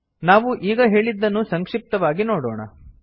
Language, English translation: Kannada, Let us summarize what we just said